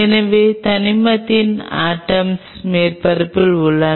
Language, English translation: Tamil, So, atoms of element are present on the surface